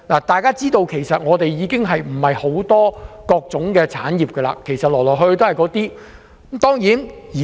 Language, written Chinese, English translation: Cantonese, 大家都知道，其實香港沒有多元化的產業，來來去去都是一些傳統的產業。, As we all know industries in Hong Kong are actually not diversified and all we have are the traditional industries